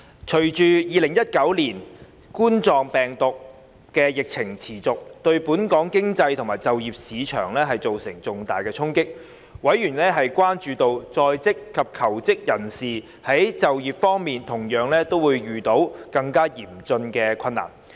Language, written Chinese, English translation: Cantonese, 隨着2019冠狀病毒病的疫情持續，對本港經濟及就業市場造成重大衝擊。委員關注到，在職及求職人士在就業方面同樣會遇到更嚴峻的困難。, As the ongoing epidemic situation of Coronavirus Disease 2019 COVID - 19 has hard - hit the local economy and the business environment members were concerned that both in - service personnel and job seekers would face aggravating difficulties in securing employment